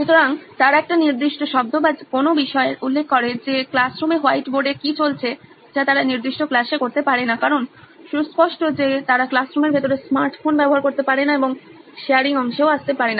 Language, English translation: Bengali, So, they want to refer a specific word or a topic what is going on white board in the classroom that they cannot do in certain classes basically because of the obvious reason that they cannot use a smart phone inside a classroom and coming to the sharing part as well